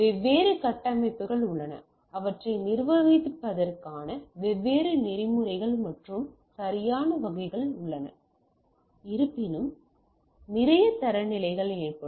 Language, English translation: Tamil, So, there are different architecture, different protocols of managing them and type of things right though there are lot of standardizations will occur